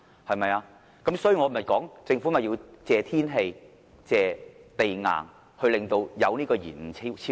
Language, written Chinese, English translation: Cantonese, 所以，我說政府要感謝天氣，感謝地硬而引致高鐵延誤和超支。, That is why I say that the Government must thank the weather and the hard rocks for causing the construction delays and cost overruns of the XRL